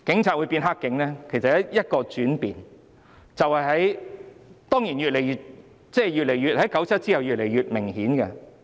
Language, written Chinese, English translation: Cantonese, 就是因為一個轉變，當然 ，1997 年之後是越來越明顯的。, It is all because of a fundamental change which has been increasingly obvious since 1997